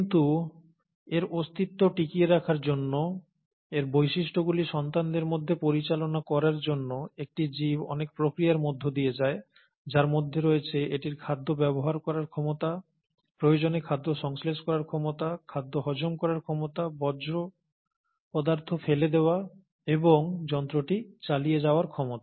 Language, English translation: Bengali, But in order to do that, in order to sustain it's survival, in order to pass on it's characters to it's progeny or it's off springs as we call it, an organism goes through a whole lot of processes, and these include it's ability to utilize food, it's ability to synthesize food if the need be, it's ability to digest the food, it's ability to throw out the waste material and keep the machine going